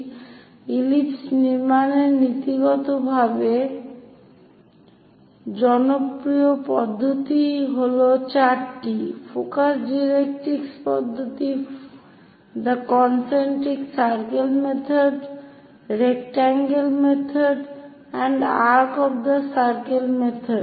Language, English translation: Bengali, So, in principle to construct ellipse, the popular methods are four focus directrix method, a concentric circle method, oblong method and arc of circle method